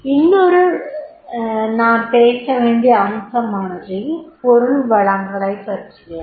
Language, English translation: Tamil, Another aspect is mentioned about the material resources